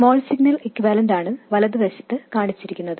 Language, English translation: Malayalam, And the small signal equivalent is shown on the right side